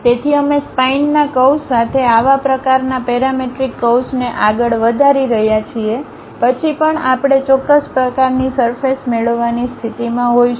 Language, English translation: Gujarati, So, we are moving such kind of parametric curve along a spine curve then also we will be in a position to get a particular kind of surface